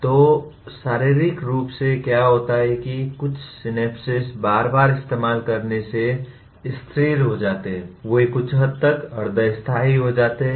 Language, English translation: Hindi, So physiologically what happens is, certain synapses because of repeated use they get stabilized, they become somewhat semi permanent